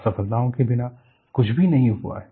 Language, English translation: Hindi, Without failures, nothing has happened